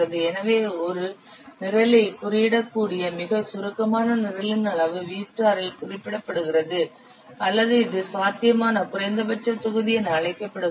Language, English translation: Tamil, So, the volume of the most succinct program in which a program can be coded is repented as V star or which is known as potential minimum volume